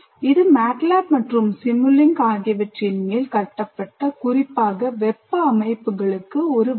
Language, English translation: Tamil, So it's a kind of built on top of MATLAB and simulink, but specifically for thermal systems